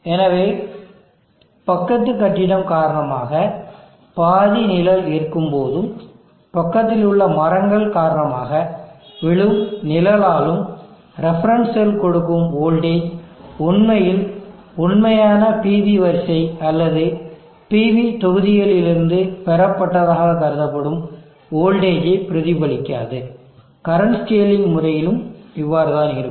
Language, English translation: Tamil, So in cases when there is partial shading due to neighboring building, the shading due to trees nearby, the voltage that the reference cell gives will not actually reflect the voltage that is suppose to have been obtained from the actual PV array of the PV module, same with the case of current scaling also